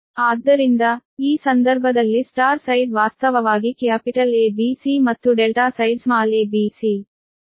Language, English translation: Kannada, so in this case your this: this side, star side, actually capital a b, c and delta side small a b c